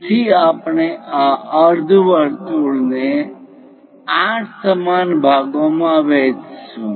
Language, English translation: Gujarati, So, we are going to divide these semicircle into 8 equal parts